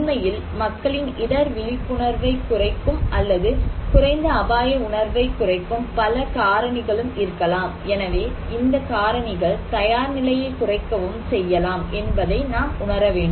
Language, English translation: Tamil, So these factors, there could be many other factors that actually reduce people's risk awareness or low risk perception, and eventually, reduce the preparedness